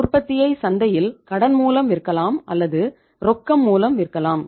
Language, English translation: Tamil, You can sell your production in the market either on cash or on credit